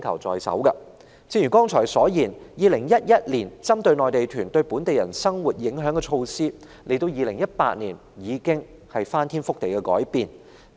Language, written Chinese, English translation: Cantonese, 正如剛才所說 ，2011 年就內地團對本地人生活影響推出的措施，到了2018年已不合時宜。, As I said the measures introduced in 2011 in response to the impacts brought by Mainland tour groups to the livelihood of local residents have become outdated in 2018